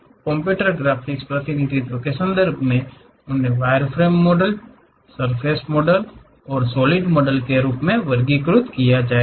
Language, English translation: Hindi, In terms of computer graphics the representation, they will be categorized as wireframe models, surface models and solid models